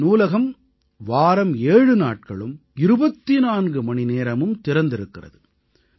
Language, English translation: Tamil, This library is open all seven days, 24 hours